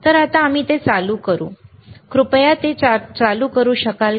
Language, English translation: Marathi, So now, we can we can switch it on, can you please switch it on